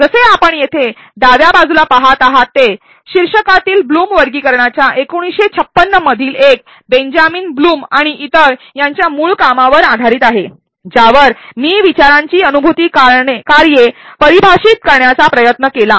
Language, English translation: Marathi, As you are seeing here though one of the left in title blooms taxonomy is based on the original work of Benjamin blooms and others in 1956 as I attempted to define the functions of thought on cognition